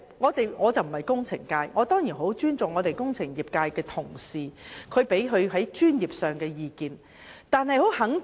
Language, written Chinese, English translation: Cantonese, 我不是工程界代表，我當然很尊重代表工程界的同事的專業意見。, I am not a representative of the engineering sector and I certainly respect the professional views of colleagues who represent the sector